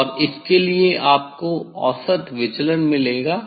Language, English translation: Hindi, And for this you will get the mean deviation